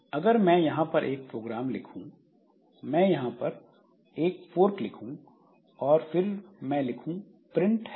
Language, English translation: Hindi, So, if I write a program like this, say I write a fork here and after that I write a print hello